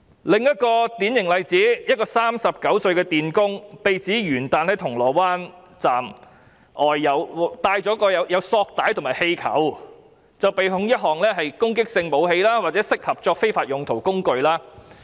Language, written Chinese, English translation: Cantonese, 另一個典型例子，一個39歲的電工被指元旦在銅鑼灣站外管有索帶和氣球，被控一項管有攻擊性武器或適合作非法用途的工具。, In another typical case a 39 - year - old electrician was accused of possessing zip ties and balloons outside the Causeway Bay MTR Station on the New Years Day and was charged with one count of possessing offensive weapon or instrument fit for unlawful purposes